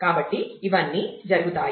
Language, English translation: Telugu, So, all the all these happens